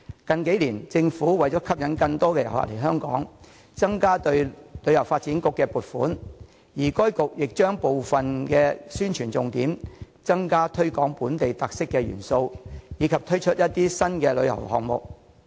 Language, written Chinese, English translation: Cantonese, 近數年來，為吸引更多旅客訪港，政府增加向香港旅遊發展局撥款，而該局亦重點宣傳和推廣具本地特色元素的項目，並同時推出一些新的旅遊項目。, In recent years in order to attract more tourists to visit Hong Kong the Government has increased funding for the Hong Kong Tourism Board HKTB . The HKTB focuses on publicizing and promoting projects with local elements while taking forward new tourism projects in the meantime